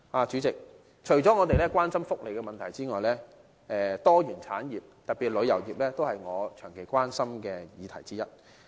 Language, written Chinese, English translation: Cantonese, 主席，除了福利的問題外，多元產業，特別是旅遊業，也是我長期關心的議題之一。, President apart from welfare issues industrial diversification tourism in particular has also long been one of the topics of my concern